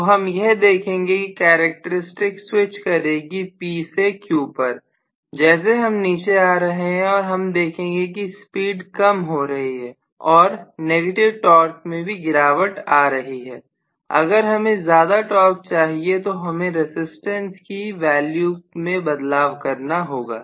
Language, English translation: Hindi, So we are going to have switching over of the characteristics from P to Q if I want as I see I come down in my speed the torque is decreasing the negative torque is decreasing, if I want a good amount of torque, I might have to adjust the resistance value, yes